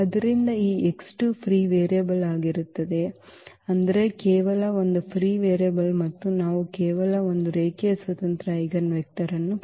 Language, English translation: Kannada, So, this x 2 is going to be the free variable; that means, only one free variable and we will get only one linearly independent eigenvector